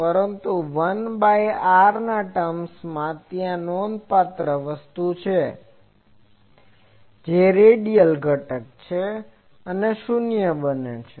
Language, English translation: Gujarati, But in the 1 by r term, there is a remarkable thing that the radial component that becomes 0